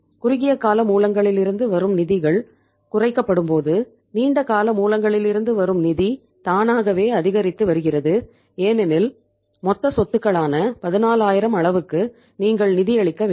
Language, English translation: Tamil, it means when the funds from the short term sources are being decreased the funds from the long term sources are automatically increasing because you have to fund the level of 14000 as the total assets